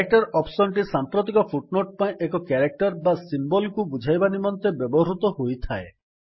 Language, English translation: Odia, The Character option is used to define a character or symbol for the current footnote